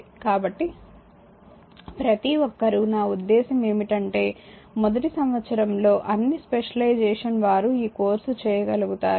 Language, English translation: Telugu, So, everybody I mean all the specializing in first year they can they can take this course right and